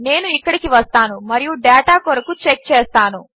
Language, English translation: Telugu, I will come down here and check for all of our data